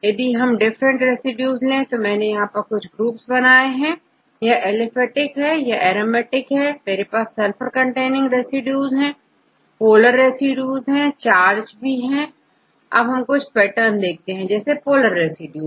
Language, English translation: Hindi, So, if you look into these different residues, I made in few groups, this is the aliphatic and the second one aromatic here, we have sulfur containing residues and polar residues and charged residues and we could see some patterns, some cases you can see pattern for example, polar residues